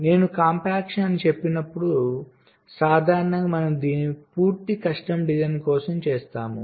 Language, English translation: Telugu, so when i say compaction generally, we do it for full custom design